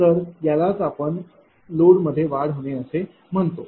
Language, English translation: Marathi, So, that is what your, what you call that load is increasing